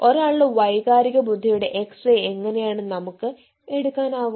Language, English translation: Malayalam, so how can we go for doing x ray of ones emotional intelligence